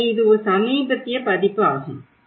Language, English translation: Tamil, So, this is a very recent edition